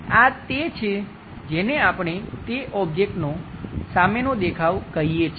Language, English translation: Gujarati, This is what we call front view of that object